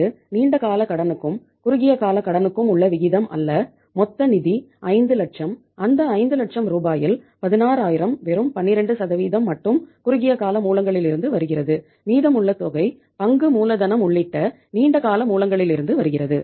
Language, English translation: Tamil, Total finance that is the 5 lakhs, out of that 5 lakh rupees 16000 that is just 12% is coming from the short term sources and remaining amount is coming from the long term sources including share capital